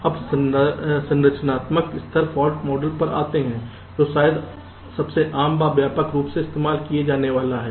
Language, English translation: Hindi, ok, now lets come to the structural level fault model, which is perhaps the most widely used and common